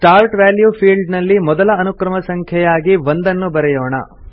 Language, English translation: Kannada, In the Start value field, we will type the first serial number, that is, 1